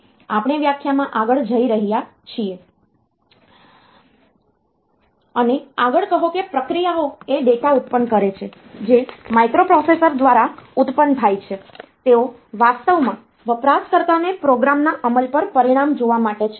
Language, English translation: Gujarati, So, if we are going into the definition further say the procedures are the produces the data that is produced by the microprocessor; they are actually for the user to see the result on the execution of a program